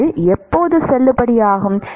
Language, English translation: Tamil, When is it valid